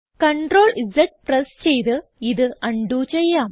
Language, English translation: Malayalam, Lets undo this by pressing CTRL and Z